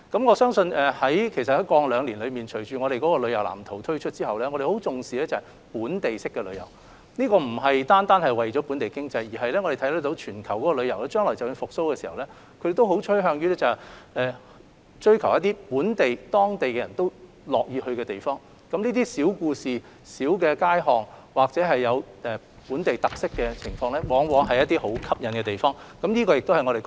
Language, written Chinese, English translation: Cantonese, 我相信過去兩年，隨着我們的旅遊藍圖推出之後，展示了我們對本地式的旅遊的重視，這不單是為了推動本地經濟，而是我們看到全球的旅遊模式和趨勢，將來旅遊業復蘇後亦會趨向追求本地化、當地人都樂意遊玩的地方，譬如一些小故事、大街小巷或有本地特色的事物，往往是能吸引遊客的要素。, I believe that over the past two years after we have introduced our tourism blueprint everyone can see that we attach great importance to local tourism . It aims not only at promoting local community economy . From the global tourism mode and trend we can see that after the revival of the tourism industry in the future a more localized trend will develop with visitors interested in visiting places where the local people enjoy going